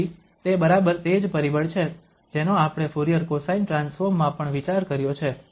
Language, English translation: Gujarati, So that is exactly the factor we have considered also in Fourier cosine transform